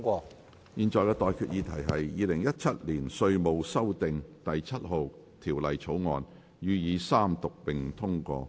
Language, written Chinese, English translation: Cantonese, 我現在向各位提出的待議議題是：《2017年稅務條例草案》予以三讀並通過。, I now propose the question to you and that is That the Inland Revenue Amendment No . 7 Bill 2017 be read the Third time and do pass